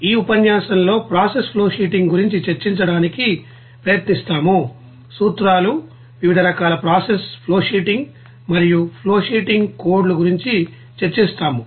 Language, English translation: Telugu, And in this lecture will try to discuss about process flowsheeting and it is principles and what are the different types of process flowsheeting and flowsheeting codes